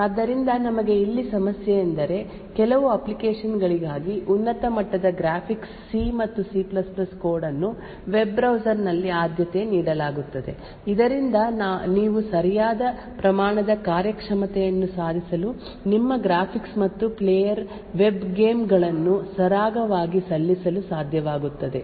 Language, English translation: Kannada, So we have a problem here while at one site for some applications like high end graphics C and C++ code is preferred in the web browser so that you achieve the right amount of performance you would be able to render your graphics and player web games very smoothly but on the other hand running C and C++ code in a web browser could result in huge security concerns